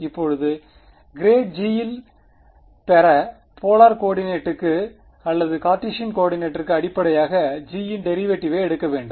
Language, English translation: Tamil, Now to get at grad g I need to take the derivative of g with respect to I can do it in polar coordinates or I can do it in Cartesian coordinates